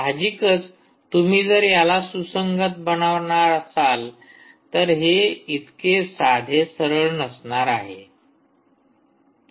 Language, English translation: Marathi, obviously, if you want to make it compatible, its not going to be straight forward for you